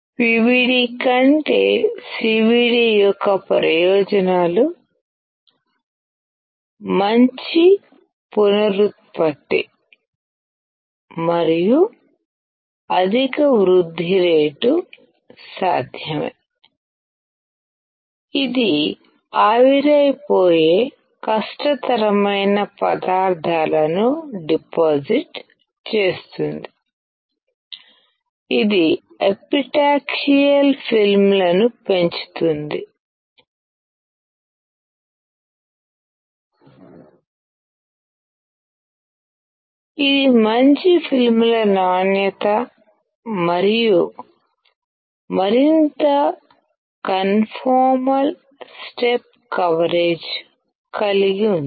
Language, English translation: Telugu, The advantages of CVD over PVD are: good reproducibility and high growth rate is possible; it can deposit materials which are hard to evaporate; it can grow epitaxial films; it has better film quality and more conformal step coverage